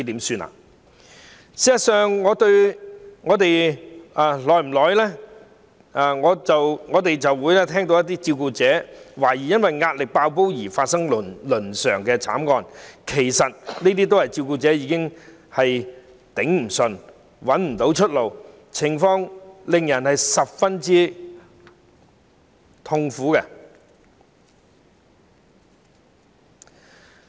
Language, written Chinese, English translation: Cantonese, 事實上，我們間中也會聽聞有關照顧者懷疑因壓力"爆煲"導致的倫常慘劇，這其實正正說明照顧者已支持不住，卻苦無出路，情況令人十分憂慮。, In fact we have occasionally heard of family tragedies that were suspected to have resulted from carers being completely stressed out . This tells us exactly that since the carers can no longer see it through but there is utterly no way out the situation has become rather worrying